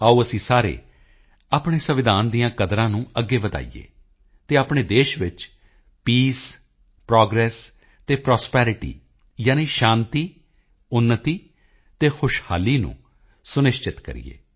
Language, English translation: Punjabi, Let us all take forward the values enshrined in our Constitution and ensure Peace, Progress and Prosperity in our country